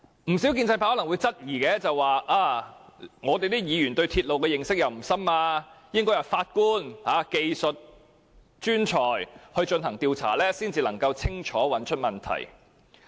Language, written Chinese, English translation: Cantonese, 建制派可能會說，議員對鐵路認識不深，應由法官和技術專才進行調查才能清楚找出問題所在。, The pro - establishment camp may say that as Members do not have a profound knowledge of railways it should be up to a judge and some technical experts to conduct an inquiry in order to clearly identify where the problem lies